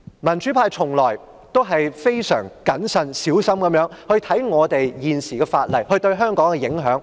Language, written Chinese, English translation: Cantonese, 民主派從來都是非常謹慎小心地看待各項法例對香港的影響。, The pro - democracy camp has all along considered the implications of various laws for Hong Kong in a very prudent way